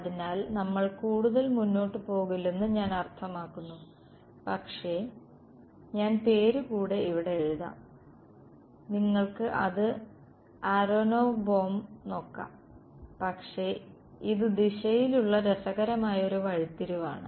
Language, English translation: Malayalam, So, I mean we will not go further, but I will write the name over here you can look it up aronov Bohm so, but that is an interesting detour along the direction